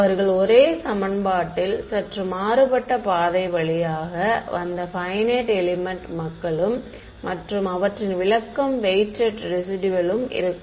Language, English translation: Tamil, The finite element people they arrived at the same equation via slightly different route and their interpretation is weighted residual